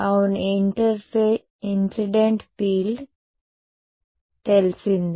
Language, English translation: Telugu, Yeah incident field is known